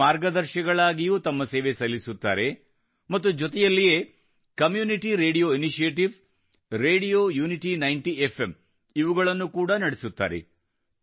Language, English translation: Kannada, They also serve as guides, and also run the Community Radio Initiative, Radio Unity 90 FM